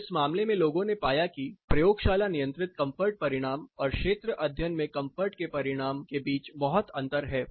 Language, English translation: Hindi, So, in this case people found there is a lot of difference between the laboratories controlled results of comfort versus the field results of comfort thermal comfort